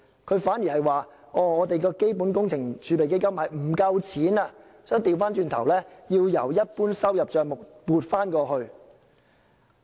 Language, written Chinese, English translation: Cantonese, 他反而說基本工程儲備基金款額不夠，要由一般收入帳目調撥過去。, He even considered that the Fund has insufficient money and thus transferred money from the General Revenue Account to the Fund